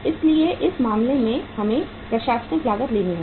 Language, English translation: Hindi, So in this case we have to take the administrative cost